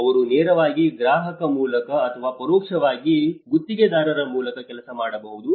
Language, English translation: Kannada, They may be employed directly by a client or indirectly through a contractor